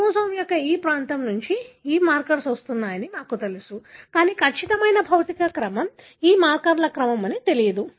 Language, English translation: Telugu, We know that these markers are coming from this region of the chromosome, but the exact physical order, order of these markers were not known